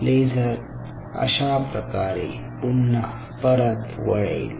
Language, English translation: Marathi, this laser will bounce back like this